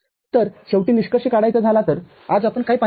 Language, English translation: Marathi, So, finally to conclude, so what you have seen today